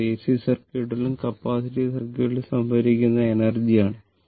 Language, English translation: Malayalam, That is, the energy stored in AC circuit and the capacitive circuit right